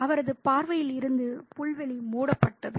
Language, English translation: Tamil, The lawn was shut off from his view